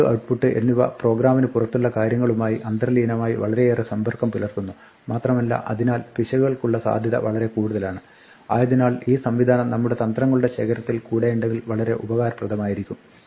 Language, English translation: Malayalam, Input and output inherently involves a lot of interaction with outside things outside the program and hence is much more prone to errors and therefore, is useful to be able have this mechanism within our bag of tricks